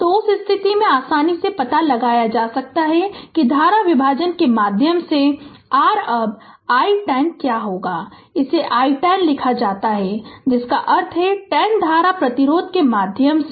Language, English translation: Hindi, So, in in in that case, you can easily find out that what is your now i 10 through current division, it is written i 10 ohm, that means current through 10 ohm ah resistance